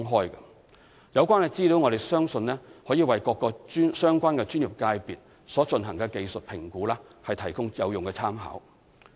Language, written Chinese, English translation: Cantonese, 我們相信有關資料可為各個相關專業界別所進行的技術評估提供有用參考。, We trust the data can provide a useful reference to various relevant professions in conducting technical assessments